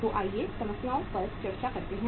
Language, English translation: Hindi, So let us discuss the problems